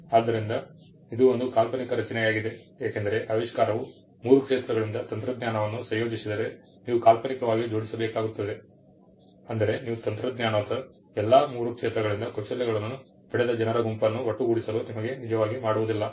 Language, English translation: Kannada, So, it is a hypothetical construct because if the invention combines technology from three fields, then you will have to assemble hypothetically that is you do not actually do that assemble a group of people who will have taken a skills from all the three fields of technology